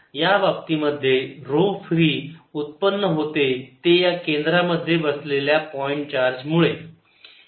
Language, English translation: Marathi, in this case, rho free arises only from this point charge sitting at the centre